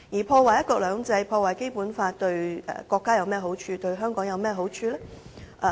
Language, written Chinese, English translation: Cantonese, 破壞"一國兩制"和《基本法》對國家及香港有甚麼好處？, What is the benefit of sabotaging one country two systems and the Basic Law for the country and Hong Kong?